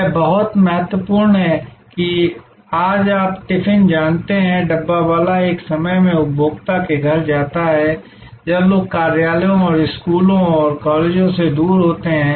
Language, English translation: Hindi, It is very important that today you know the Tiffin, the Dabbawala goes to the home of the consumer at a time, when people are away to offices and schools and colleges